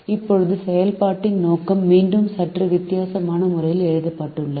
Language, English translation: Tamil, now the objective of function is once again written in a slightly different way